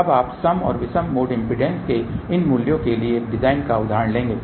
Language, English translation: Hindi, Now you will take a design example for these values of even and odd mode impedances